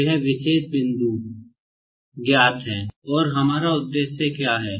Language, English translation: Hindi, So, this particular point is known and what is our aim